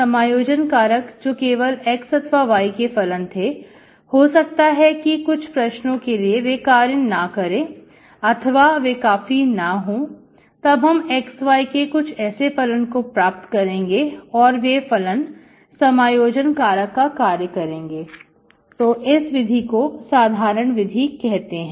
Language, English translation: Hindi, Integrating factors that are functions of x or functions of alone may not work when, when they do not work, you may have to look for some function of x, y as an integrating factor, so this is called the general method